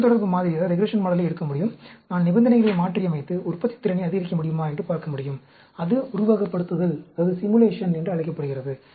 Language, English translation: Tamil, I can take the regression model, I can modify that, the conditions and see whether I am able to increase the productivity; that is called simulation